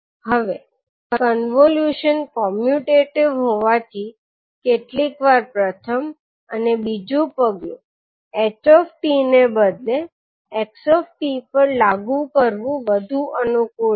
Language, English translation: Gujarati, Now since the convolution is commutative it is sometimes more convenient to apply step one and two to xt instead of ht